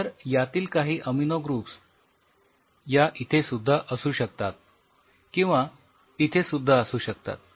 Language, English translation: Marathi, It has 3 of these amino groups which are present here also few of these amino groups present here also